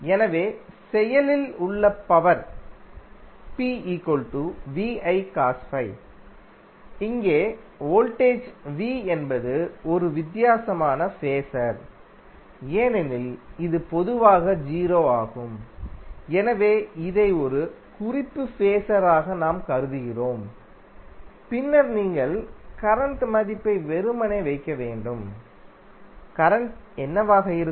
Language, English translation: Tamil, So, active power is nothing but VI cos phi, here voltage V is a difference phasor because it is generally 0 so we are considering it as a reference phasor and then you have to simply put the value of current, current would be what